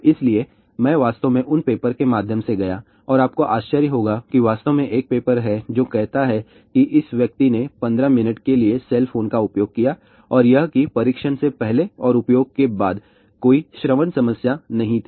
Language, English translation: Hindi, So, I actually went through lot of those paper and you will be actually surprised that there is actually a paper which says that or this person used the cell phone for 15 minutes and that this the testing before and after use and there were no auditory problems